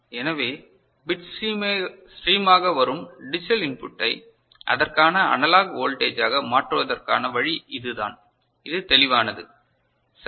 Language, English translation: Tamil, So, this is the way we can convert a digital input coming as a bit stream to a corresponding analog voltage is it clear, right